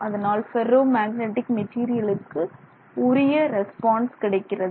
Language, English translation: Tamil, So, this is how the ferromagnetic material behaves